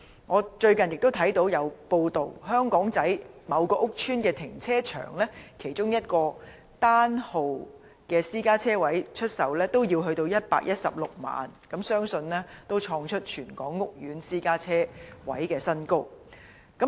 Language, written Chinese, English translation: Cantonese, 我最近亦看到報道，香港仔某屋邨停車場出售其中一個單號私家車車位也要116萬元，相信創出全港屋苑私家車車位的新高。, Recently it has been reported that a parking space accommodating one vehicle in a housing estate in Aberdeen was sold at 1,160,000 . I believe it has broken the record of parking space prices in all housing estates in Hong Kong